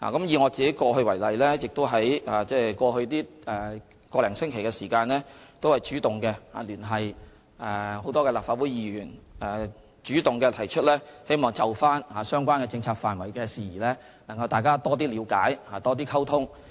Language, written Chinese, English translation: Cantonese, 以我為例，在過去1星期，我主動聯繫多位立法會議員，主動提出希望就相關政策範疇事宜，大家多作了解和溝通。, In my case I have been actively contacting many legislators over the past week expressing my wish that we can strengthen our understanding and communication regarding relevant policy issues